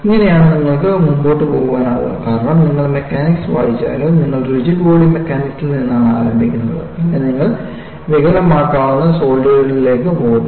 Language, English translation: Malayalam, See, this is how you can proceed, because even if you read mechanics, you start from rigid body mechanics, then, you graduate to deformable solids